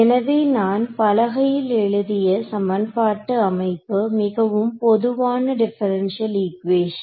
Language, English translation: Tamil, So, the equation setup, now on the board over here I have written very generic differential equation